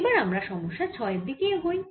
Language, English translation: Bengali, now we will move to question number six